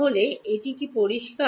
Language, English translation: Bengali, So, is this clear